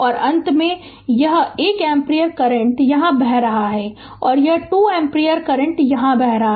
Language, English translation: Hindi, And finally, this 1 ampere current here is flowing and 2 ampere current is flowing here